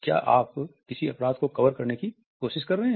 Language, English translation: Hindi, Are you trying to cover up a crime